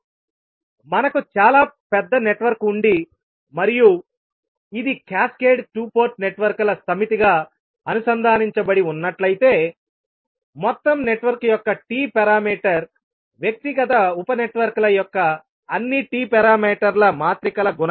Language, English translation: Telugu, So whenever we have very large network and it is connected as a set of cascaded two port networks, the T parameter of overall network would be the multiplication of all the T parameters matrices of individual sub networks